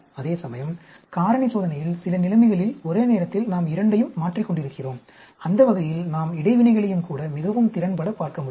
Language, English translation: Tamil, Whereas, the factorial experiment, we are changing both simultaneously in some situations, that way we will be able to look at even interactions very efficiently